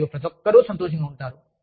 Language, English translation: Telugu, And, everybody is happy